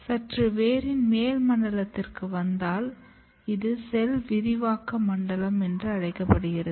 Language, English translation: Tamil, And then if you come slightly later zone of or slightly upper zone of the root, this zone is called zone of cell expansion